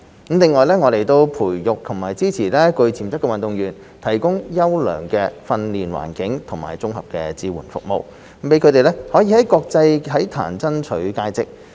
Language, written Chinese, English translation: Cantonese, 另外，我們培育及支持具潛質的運動員，提供優良的訓練環境及綜合支援服務，讓他們可以在國際體壇爭取佳績。, In addition we nurture and support potential athletes and provide them with quality training environment and integrated support services enabling them to achieve outstanding results in the international sports arena